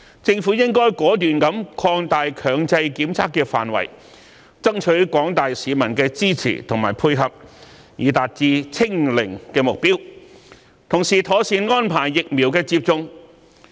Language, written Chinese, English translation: Cantonese, 政府亦應果斷地擴大強制檢測的範圍，爭取廣大市民的支持及配合，以達致"清零"的目標，並同時妥善安排疫苗接種的工作。, The Government should extend the coverage of mandatory testing in a decisive manner and solicit support and cooperation from members of the general public so as to achieve the goal of zero infection . Proper arrangements should also be made for conducting the vaccination programme